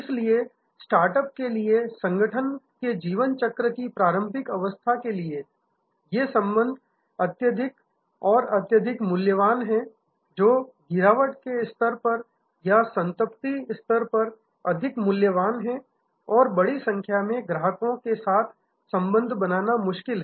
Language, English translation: Hindi, So, for startups, for at the begging of the life cycle of organization, these relationships are highly, highly valuable much more valuable than at the declining stage or at the saturation stage and it is difficult to create relationship with a large variety of customers